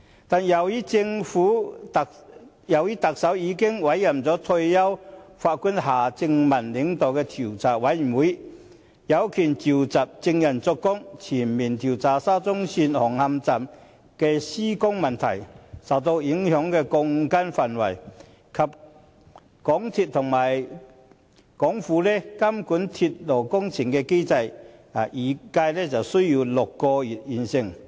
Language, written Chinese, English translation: Cantonese, 但是，特首已經委任退休法官夏正民領導調查委員會，調查委員會有權傳召證人作供，全面調查沙中線紅磡站的施工問題、受影響的鋼筋範圍，以及港鐵公司和港府監管鐵路工程的機制，預計需時6個月便能完成調查。, That said the Chief Executive has already appointed Mr Michael John HARTMANN a retired Judge to lead a Commission of Inquiry with summoning power to conduct a comprehensive investigation into the construction problems with Hung Hom Station of SCL the range of problematic steel bars and the mechanism of MTRCL and the Hong Kong Government for supervising railway projects . It is expected that the inquiry takes six months